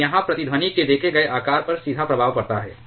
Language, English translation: Hindi, And this has a direct effect on the observed shape of resonance